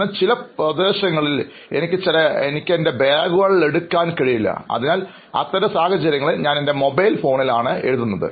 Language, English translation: Malayalam, But in some areas I cannot take my bags, so there I write in my mobile phone